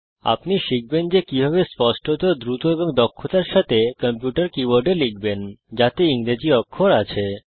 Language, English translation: Bengali, You will learn how to type: Accurately, quickly, and efficiently, on a computer keyboard that has the English alphabet keys